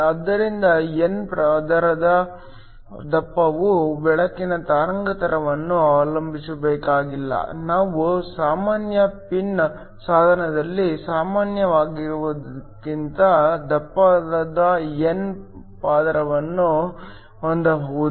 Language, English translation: Kannada, So, that the thickness of the n layer does not have to depend upon the wavelength of the light, you can have a thicker n layer then what you normally have in a regular pin device